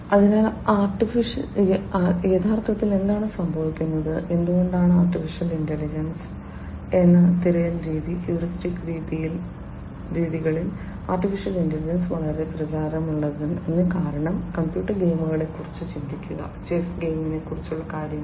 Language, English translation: Malayalam, So, actually what happens is why the you know AI is you know why the search method heuristic search methods are very popular in AI is, because think about computer games, things about chess the game of chess, etcetera